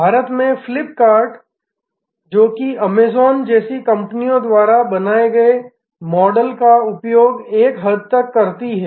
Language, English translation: Hindi, Flip kart in India, which is to an extent using the model created by companies like Amazon